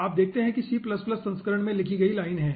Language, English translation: Hindi, you see, this is the line written in the c plus, plus version